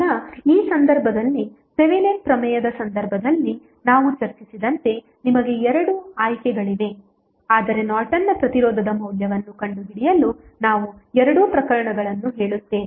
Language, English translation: Kannada, Now, as we discussed in case of Thevenin's theorem in this case also you will have two options rather we say two cases to find out the value of Norton's resistance